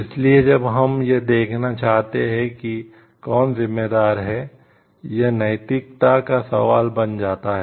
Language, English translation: Hindi, So, when we want to see like who is responsible, then this becomes questions of ethical issues